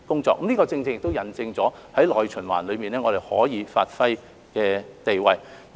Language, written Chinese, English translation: Cantonese, 這亦引證在內循環中，我們可以發揮的地位。, This is an example showing how we can play a role in the domestic circulation